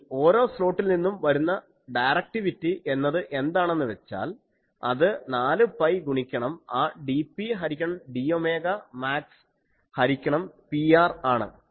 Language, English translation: Malayalam, And directivity what is directivity of each slot comes out to be that 4 pi into that dP by d ohm max by P r